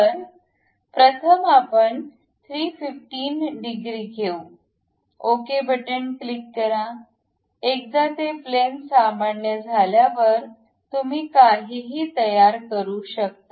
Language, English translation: Marathi, So, first let us keep 315, click ok; once it is done normal to that plane, construct anything